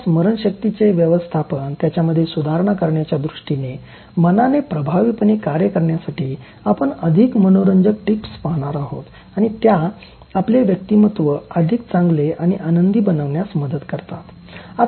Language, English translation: Marathi, We will look at more interesting tips and in terms of managing your memory, improving your memory and then make the mind function effectively and then make it help you to develop your personality in better and happier manner